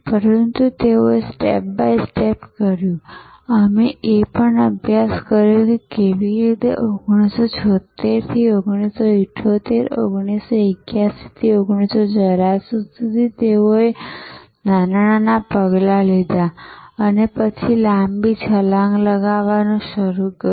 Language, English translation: Gujarati, But, they did it step by step, we studied that also that how from 1976 to 1978, to 1981 to 1984 how they took short small steps and then started taking longer leaps